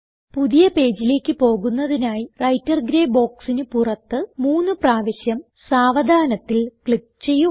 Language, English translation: Malayalam, And let us go to a new page by clicking three times slowly outside the Writer gray box And then press Control Enter